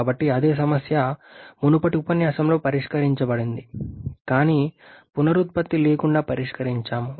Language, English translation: Telugu, So the same problem is solved in the previous lecture, but without regeneration